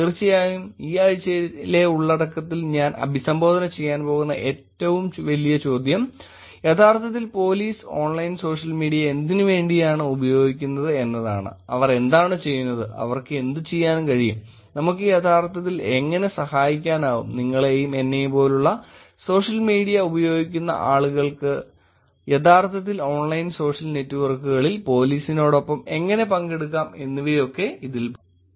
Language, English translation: Malayalam, And of course, the question that I'm going to be trying to address in this week content is actually what has police been using Online Social Media for, what have they been doing, what can they do, how we can actually help, how people using social media like you and me can actually participate with the police in online social networks